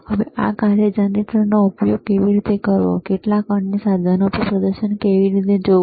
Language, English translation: Gujarati, Now how to use this function generator, and how to see the display on some other equipment